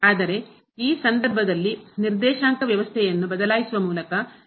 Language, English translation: Kannada, But in this case by changing the coordinate system